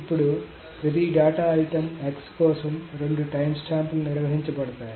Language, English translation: Telugu, Now for every data item X, so there are two timestamps that are maintained